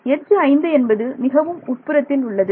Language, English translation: Tamil, Edge 5 is in the interior right